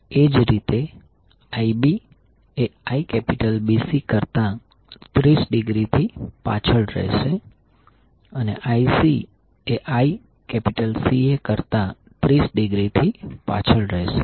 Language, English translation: Gujarati, Similarly Ib will be lagging by 30 degree from Ibc and Ic will be lagging 30 degree from Ica